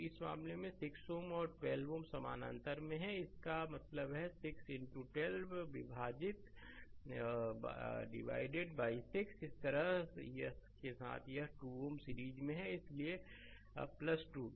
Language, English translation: Hindi, So, in this case 6 ohm and 12 ohm they are in parallel; that means, 6 into 12 divided by 6 plus 12 right, with that this 2 ohm is in series so, plus 2 right